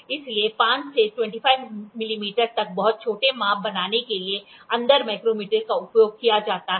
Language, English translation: Hindi, Inside micrometer, so, inside micrometer the inside micrometer is used for making very small measurements from 5 to 25 millimeter